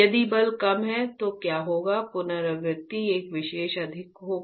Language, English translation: Hindi, If a force is less, then what will happen the recurrence will be higher a subject